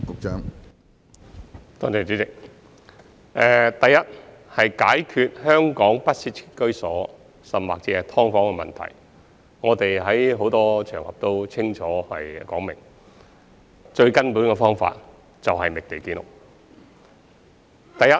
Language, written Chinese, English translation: Cantonese, 主席，首先，關於解決香港不適切居所甚或"劏房"的問題，我們在很多場合已清楚表明，最根本的方法是覓地建屋。, President first of all when it comes to resolving the problem of inadequate housing or even subdivided units in Hong Kong we have already made it clear in many occasions that the fundamental solution is to identify land for housing construction